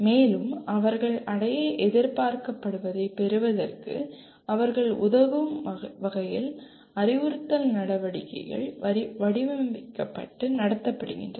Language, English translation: Tamil, And instructional activities are designed and conducted to facilitate them to acquire what they are expected to achieve